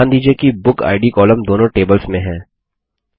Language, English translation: Hindi, Notice that the BookId column is in both the tables